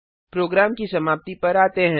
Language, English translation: Hindi, Coming to the end of the program